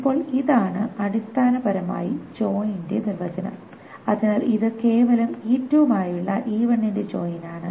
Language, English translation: Malayalam, Now this is essentially the definition of the join, so this is simply the join of E1 with E2